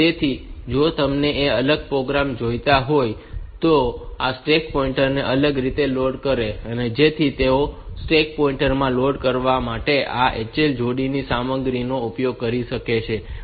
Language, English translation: Gujarati, So, if you want that different program they will load this stack point at differently so they can utilize the content of this HL pair to be loaded into the stack pointer